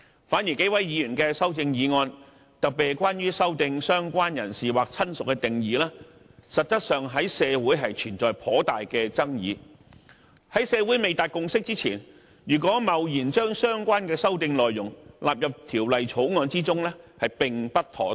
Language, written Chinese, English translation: Cantonese, 反而幾位議員的修正案，特別是關於修訂"相關人士"或"親屬"的定義，實質上在社會存在頗大的爭議，在社會未達共識前，如果貿然將相關的修訂內容納入《條例草案》中，便不妥當。, On the contrary Members have proposed CSAs particularly those which seek to amend the definitions of related person or relative the contents of which are actually very controversial in society . It will be inappropriate to rashly include the relevant amendments in the Bill before reaching any consensus in the community